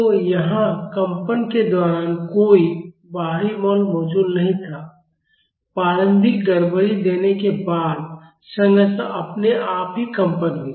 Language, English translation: Hindi, So, here there was no external force present during the vibration, the structure vibrated on its own after I gave an initial disturbance